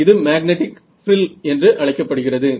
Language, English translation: Tamil, So, this thing is called a magnetic frill right